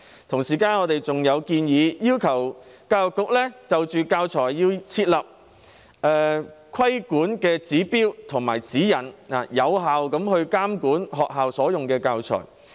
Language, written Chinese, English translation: Cantonese, 同時，我們還建議教育局就教材設立規管指標和指引，俾能有效監管學校採用的教材。, At the same time we also suggest that the Education Bureau should introduce regulatory standards and guidelines for teaching materials so as to effectively monitor the teaching materials used by schools